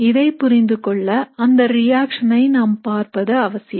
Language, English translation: Tamil, So now to understand this we need to look at the reaction